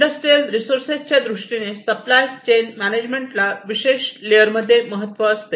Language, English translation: Marathi, So, industrial resources, supply chain management, these are considered in this particular layer